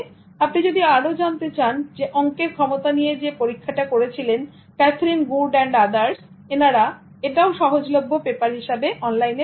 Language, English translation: Bengali, And if you want to know more about the math ability experiment conducted by Catherine Good and others, it's also available in the form of a paper online